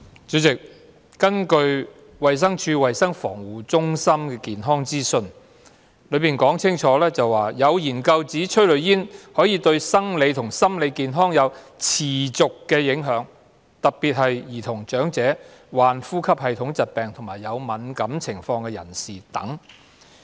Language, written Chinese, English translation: Cantonese, 主席，衞生署衞生防護中心的健康資訊清楚指出，有研究指催淚煙對生理和心理健康有持續的影響，特別在兒童、長者、患呼吸系統疾病或有敏感情況的人士等。, President it is pointed out clearly in the health information issued by the Centre for Health Protection of DH that certain studies suggest that exposure to tear gas could cause persistent physical and psychological illnesses and particularly so for children the elderly and patients with respiratory diseases or allergies